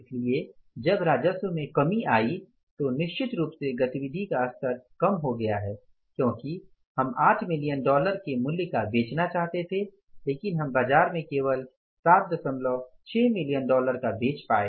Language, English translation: Hindi, So, when the revenue has come down certainly the activity level has come down that we wanted to sell for 8 million worth of the dollars but we could sell only for 7